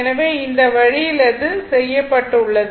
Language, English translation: Tamil, So, this way it has been done